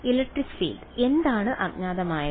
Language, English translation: Malayalam, Right the electric field this is what is unknown